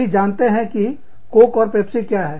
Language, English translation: Hindi, Everybody knows, what Coke and Pepsi is